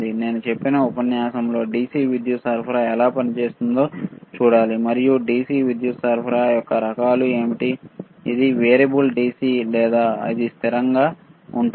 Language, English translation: Telugu, So, in the next like I said module we have to see how the DC power supply operates, and what are the kind of DC power supply is it variable DC or it is a constant